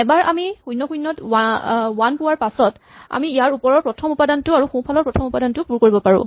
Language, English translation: Assamese, So, once we have one at (0, 0) then we can fill both the first element above it and the first element to its right